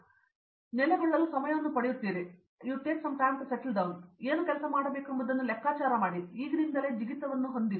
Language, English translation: Kannada, So, you do get time to settle in and figure out what to work on and you don’t have to jump into it right away